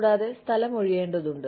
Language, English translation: Malayalam, And, space needs to be vacated